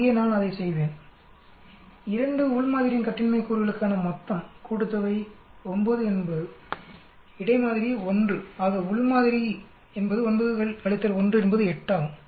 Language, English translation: Tamil, Here I will do that this sum of the degrees of freedom for within sample is the total is 9 between sample is 1 so within sample is 9 minus 1 is 8